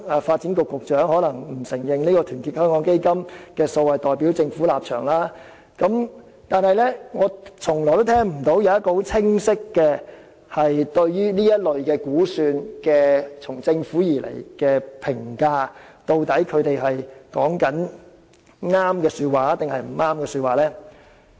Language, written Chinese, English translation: Cantonese, 發展局局長可能會否認團結香港基金提出的數字代表了政府的立場，但我從來沒有聽到政府對這類估算作出清晰的評價，指出所言究竟是對還是錯。, The Secretary for Development may try to clarify that the figures provided by Our Hong Kong Foundation do not represent the stance of the Government but it occurs to me that the Government has never commented clearly on estimations of this sort and pointed out if it was correct to present the figures in this way